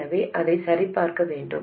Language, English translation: Tamil, So we have to to check that as well